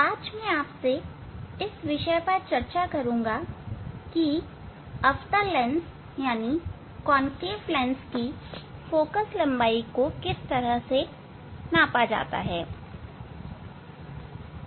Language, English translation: Hindi, Now we will demonstrate how to measure the Focal Length of a Concave Lens